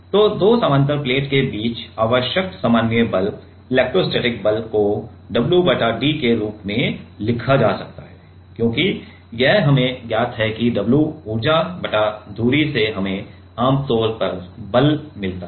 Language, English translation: Hindi, So, electrostatic force necessary normal force between two parallel plate, can be written as like w by d where because this is known to us right that w at the energy divided by the distance; we usually gets the force right